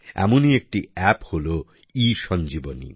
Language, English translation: Bengali, There is one such App, ESanjeevani